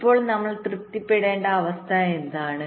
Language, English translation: Malayalam, so what is the condition we have to satisfy